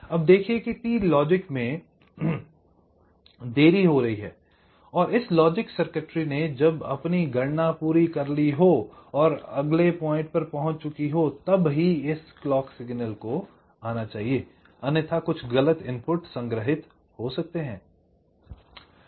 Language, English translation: Hindi, so what i am saying is that there is a delay of t logic and when this logic circuit has finish its calculation it must receive, reach this point and then only this clock should come, otherwise some wrong value might get stored